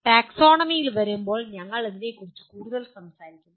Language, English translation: Malayalam, We will talk about this more when we come to the taxonomy